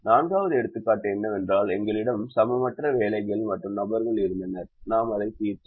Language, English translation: Tamil, the fourth example is where we had an unequal number of jobs and people and we solved it